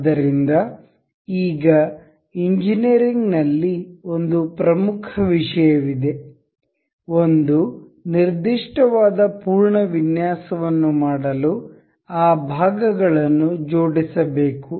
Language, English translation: Kannada, So, now there is an important thing in engineering to assemble those parts to make one particular full design that may be used